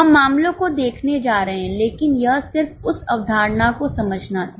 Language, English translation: Hindi, We are going to take the cases but this was just a understanding of that concept